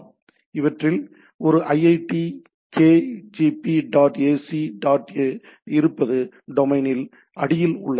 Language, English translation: Tamil, So, what we have a iitlkgp dot ac dot in these are underneath that in domain